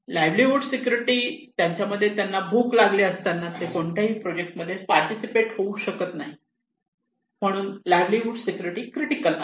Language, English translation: Marathi, So livelihood security, they feel that when I am hungry I cannot participate in any projects so livelihood security is critical